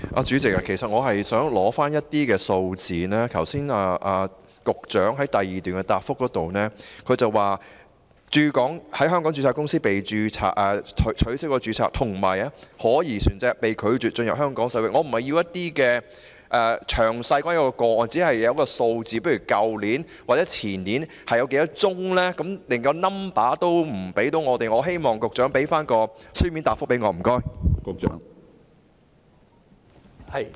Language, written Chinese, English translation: Cantonese, 主席，其實我是想獲取一些數字，局長剛才在主體答覆第二部分提到，有香港註冊公司被取消註冊，以及可疑船隻被拒絕進入香港水域，我並不是想要有關個案的詳細內容，我只是想要一些數據，例如去年或前年有多少宗個案，但局長連數字也未能提供給我們，我希望局長提供書面答覆。, President I just want to know the numbers . As mentioned by the Secretary in part 2 of his main reply just now some Hong Kong - registered companies have been struck off and suspicious vessels have been denied entry into Hong Kong waters . I am not asking for the details of these cases I just want to know the numbers